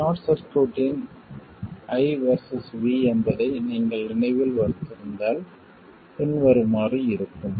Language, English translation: Tamil, If you remember the I versus V of a short circuit is as follows